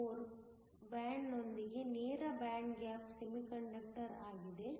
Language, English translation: Kannada, So, this is a direct band gap semiconductor